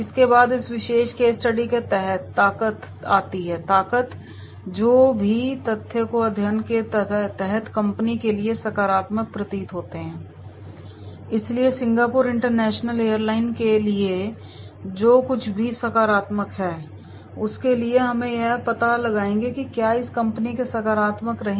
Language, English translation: Hindi, Next comes the strength, strength under this particular case study, any facts that appeared to be positive for the company under study, so for whatever is positive is there for the Singapore International Airline, so we will find out that is what is the appearing1 to be positive for this company